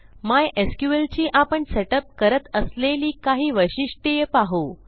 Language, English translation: Marathi, Ill take you through some of the mySQL features that we will set up